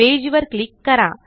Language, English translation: Marathi, Click on the page